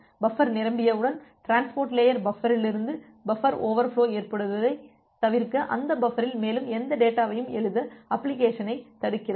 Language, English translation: Tamil, Once the buffer gets filled up, so then the transport layer it blocks the application to write any more data in that buffer to avoid the buffer overflow from this transport layer buffer